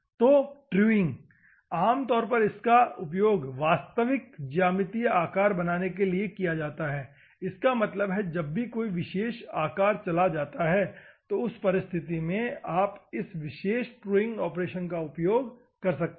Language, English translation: Hindi, So, truing, normally to create the true geometrical shape; that means, that whenever particular shape is gone in that circumstances, you can use this particular truing operation